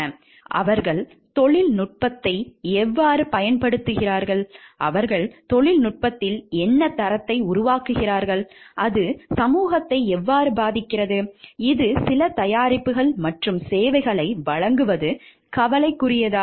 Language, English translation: Tamil, Like, how they use the technology what up gradation do they make in the technology, and how it is affecting the society at large, is it taking into concern is it delivering certain products and services